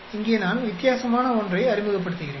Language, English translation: Tamil, Here I am introducing something different